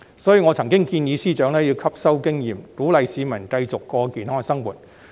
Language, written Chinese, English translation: Cantonese, 所以，我曾建議財政司司長吸收經驗，鼓勵市民繼續過健康生活。, Therefore I did advise the Financial Secretary to learn from this experience and encourage members of the public to keep leading a healthy life